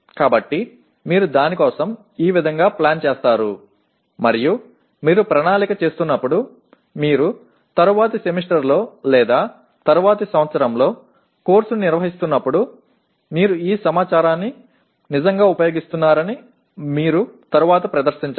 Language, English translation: Telugu, So this is how you plan for that and you have to demonstrate later that you are actually using this information when you are planning, when you are conducting the course in the following semester or following year